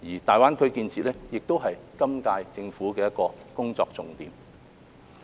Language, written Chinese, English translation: Cantonese, 大灣區的建設亦是今屆政府的工作重點。, The development of GBA is also the focus of work of the current - term Government